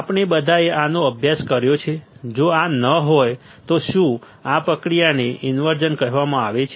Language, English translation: Gujarati, We have all studied this if not this, is this process is called inversion